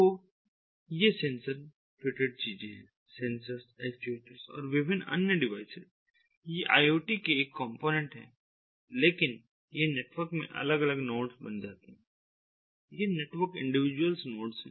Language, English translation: Hindi, so these sensor fitted things sensors, actuators and different other emirate devices, ah, these, these are one component of the iot, so, but these become the different nodes in the network